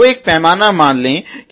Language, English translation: Hindi, So, let say scale of the 0 to 10